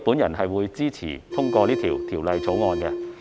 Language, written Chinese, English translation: Cantonese, 因此，我支持通過《條例草案》。, I therefore support the passage of the Bill